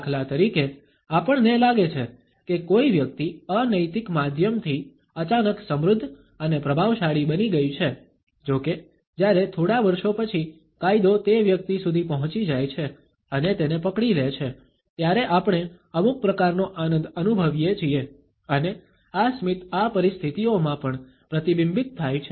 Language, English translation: Gujarati, For example; we may feel that a person has become suddenly rich and influential by unethical means; however, when after a couple of years the law is able to reach that individual and nabs him then we feel some type of an enjoyment and this smile is also reflected in these situations